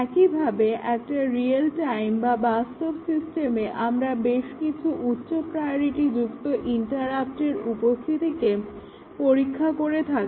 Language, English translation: Bengali, Similarly, a real time system, we might test the arrival of several high priority interrupts